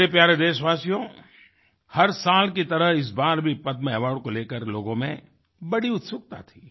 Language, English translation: Hindi, My beloved countrymen, this year too, there was a great buzz about the Padma award